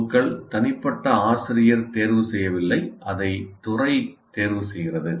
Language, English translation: Tamil, PSOs, individual teacher doesn't choose, it is a department that chooses